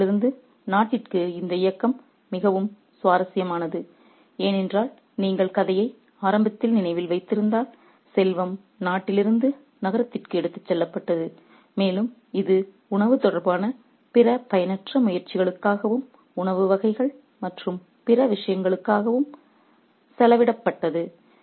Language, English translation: Tamil, It's very interesting this movement from the city to the country because if you remember the story early on, the wealth was taken from the country to the city and it was spent on unproductive pursuits, unproductive pursuits related to finance, relating to cuisine and other things